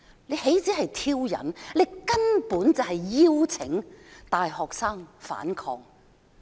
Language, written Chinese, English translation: Cantonese, 這豈止是挑釁，根本是邀請大學生反抗。, This was not just a provocation but virtually an invitation for university students to resist